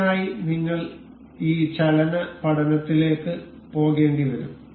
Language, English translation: Malayalam, For this, we will have to go this motion study